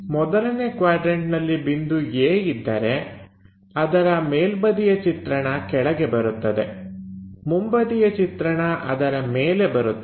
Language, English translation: Kannada, If the point is A in the first quadrant is top view will be at bottom is front view on the top